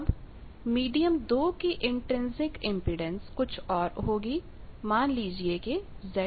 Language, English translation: Hindi, So, medium 2 is having some other intrinsic impedance Z 2